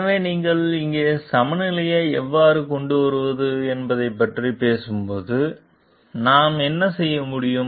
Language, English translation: Tamil, So, when you are talking of how to bring the balance over here; so what we can do